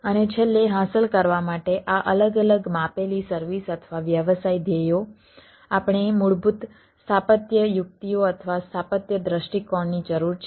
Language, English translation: Gujarati, and finally, in order to achieve this different ah measured services or the business goals, we need to have basic architectural techniques or architectural ah view